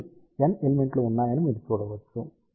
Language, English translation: Telugu, So, you can see that there are N elements